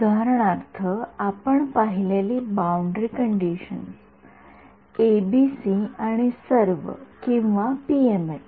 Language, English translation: Marathi, Boundary conditions we have seen for example, ABC and all or PML